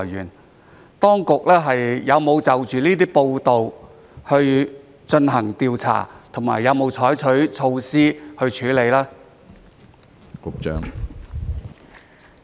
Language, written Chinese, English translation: Cantonese, 請問當局有沒有就着這些報道進行調查和採取措施處理呢？, May I ask the authorities whether any investigation has been conducted and any measure adopted in response to these media reports?